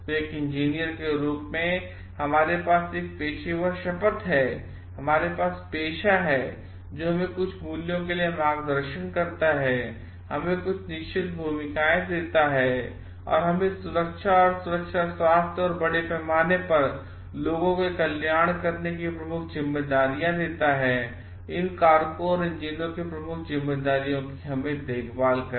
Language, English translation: Hindi, As an engineer, we do have a we have taken a professional oath, we have of the profession itself guides us towards certain values and gives us certain roles and in that the safety and security health and a welfare of the people at large are major responsibilities to look after these factors and major responsibilities of engineers